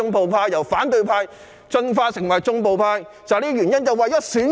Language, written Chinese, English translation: Cantonese, 他們由反對派進化成為"縱暴派"正是為了選舉。, Their evolution from being the opposition camp to conniving at violence is simply for the sake of election